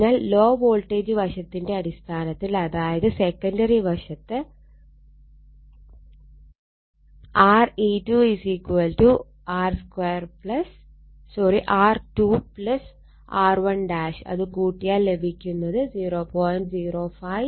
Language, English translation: Malayalam, So, in terms of low voltage side now that is your secondary side, right it is Re 2 is equal to R 2 plus R 1 dash you add it it is 0